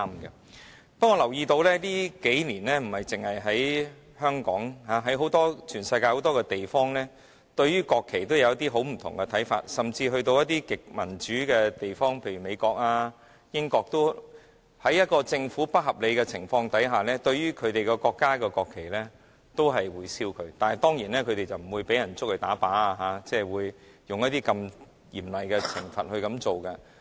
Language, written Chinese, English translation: Cantonese, 不過，我留意到近年，不單在香港，在全世界很多地方，人民對國旗都有一些不同的看法，甚至在一些極為民主的地方，例如美國和英國，在政府行事不合理的情況下，市民亦會燒毀自己國家的國旗，但他們當然不會被捉去槍斃，不會受到這麼嚴厲的懲罰。, Nevertheless I have noticed that in recent years people have different views on national flags not only in Hong Kong but also in many places around the world . In extremely democratic places such as the United States and the United Kingdom some people will even burn their own national flags when their Government has acted unreasonably . Yet certainly they will not be caught and executed by a firing squad